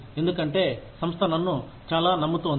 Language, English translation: Telugu, Because, the organization is trusting me, so much